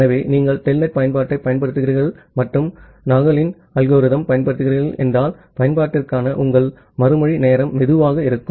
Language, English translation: Tamil, So, if you are just using telnets application and applying Nagle’s algorithm, your response time for the application will be slow